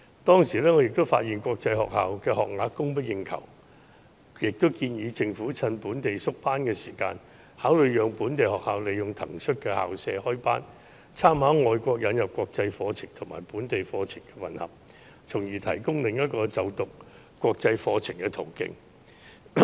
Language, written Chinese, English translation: Cantonese, 當時我發現國際學校的學額供不應求，便建議政府藉縮班時考慮讓本地學校利用騰出的校舍開班，參考外國引入國際課程和本地課程混合的做法，從而提供另一個就讀國際課程的途徑。, Back then after I had noticed a short supply of school places of international schools I suggested that the Government consider allowing local schools to operate new classes by drawing reference from overseas practice of combining international and local curricula in premises vacated as a result of the cutting of classes thereby offering another channel for studying international curriculum